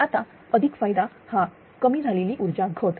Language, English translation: Marathi, Now additional advantages one is reduce energy losses